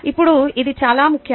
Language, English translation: Telugu, now, this is a very important point